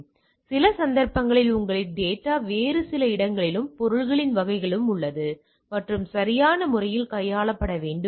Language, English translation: Tamil, So, in some cases your data is in some other place and type of things and need to be handled appropriately